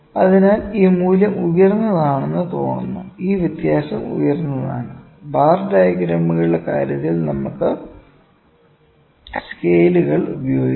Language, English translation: Malayalam, So, it looks like that this value is high, this difference is high, we can cheat with scales in case of bar diagrams, ok